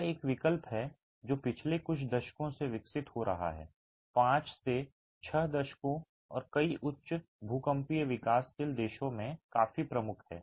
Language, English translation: Hindi, This is an alternative which has been developing over the last few decades, 5 to 6 decades and quite predominant in many highly seismic developing countries